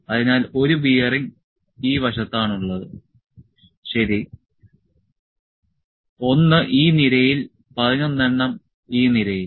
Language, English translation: Malayalam, So, 1 bearing is on this side, ok; 1 on this column, 11 in this column